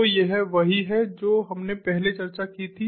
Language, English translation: Hindi, so this is what we discussed earlier